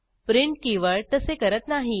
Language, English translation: Marathi, The keyword print does not